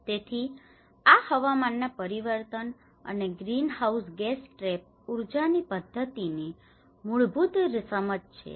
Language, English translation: Gujarati, So, this is the basic understanding of climate change and the greenhouse gas trap energy systems